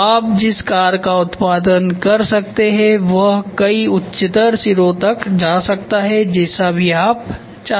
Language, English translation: Hindi, So, the car you can produce in it several higher ends whatever you want